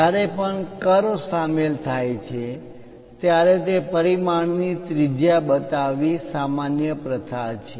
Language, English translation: Gujarati, Whenever curves are involved it is a common practice to show the radius of that dimension